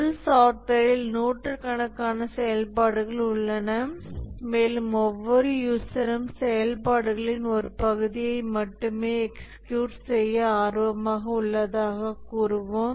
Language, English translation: Tamil, A software has hundreds of functionalities and let's say each user is interested in executing only part of the functionality